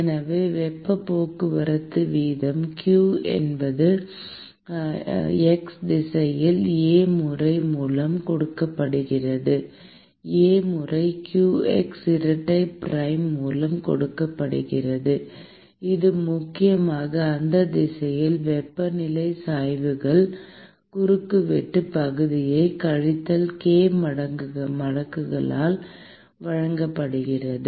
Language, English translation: Tamil, So, therefore, the heat transport rate q is essentially given by A times, in the x direction is given by A times qx double prime, which is essentially given by minus k times the cross sectional area into the temperature gradient in that direction